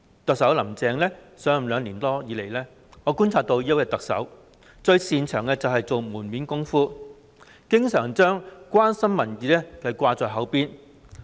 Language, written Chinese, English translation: Cantonese, 特首"林鄭"上任兩年多以來，我觀察到的是，這位特首最擅長做門面工夫，經常將"關心民意"掛在口邊。, Based on my observation over the past more than two years since the Chief Executive Carrie LAM took office this Chief Executive is best at putting on façades by saying all the time that she concerns about public opinion